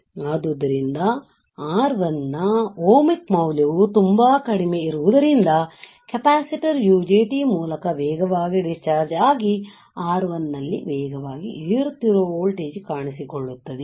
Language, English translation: Kannada, So, as the ohmic value of R1 is very low, the capacitor discharge is rapidly through UJT the fast rising voltage appearing across R1